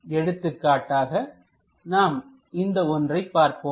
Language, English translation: Tamil, For example, here let us look at that